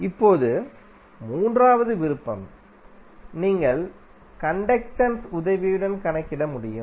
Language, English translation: Tamil, Now third option is that you can calculate with the help of conductance